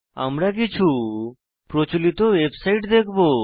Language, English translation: Bengali, We will see the few popular websites